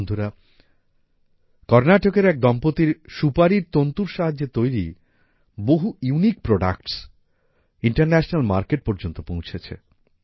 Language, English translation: Bengali, Friends, a couple from Karnataka is sending many unique products made from betelnut fiber to the international market